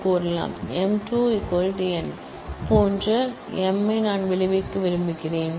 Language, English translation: Tamil, I want to result m such that m square equals n